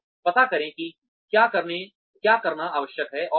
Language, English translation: Hindi, So, find out, what is required to be done